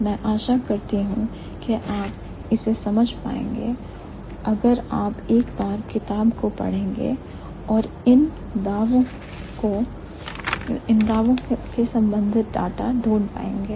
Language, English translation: Hindi, I hope you would be able to understand that if you check the book once and find out more data related to these claims